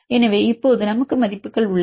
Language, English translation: Tamil, So, now we have the values